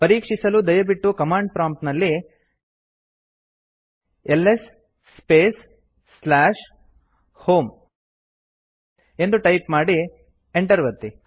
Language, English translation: Kannada, To do this, please type the at the command prompt ls space / home and press Enter